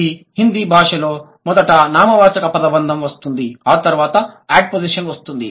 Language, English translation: Telugu, If this is the language, then noun phrase comes first then the ad position